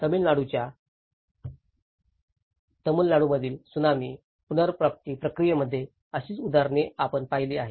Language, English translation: Marathi, We have also seen similar examples in the Tsunami recovery process in Tamil Nadu, the case of Tamil Nadu